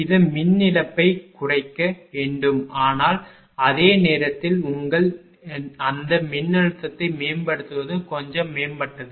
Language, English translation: Tamil, It should reduce the power loss, but at the same time that your; what you call that voltage also being improved little bit improved